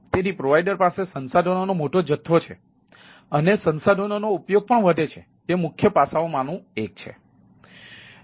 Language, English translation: Gujarati, so provider has a huge volume of resources and that has a increase utilization of the resources is the one of the ah major aspects